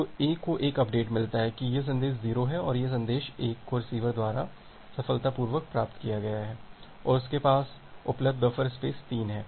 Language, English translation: Hindi, So, A get an update that well this message 0 and message 1 has been successfully received by the receiver and it has a available buffer space of 3